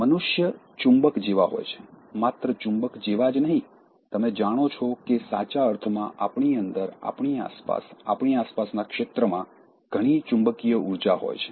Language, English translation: Gujarati, Human beings are like magnets, not only like magnets, literally you know that we have lot of magnetic energy within us, around us, in the field around us, we have lot of it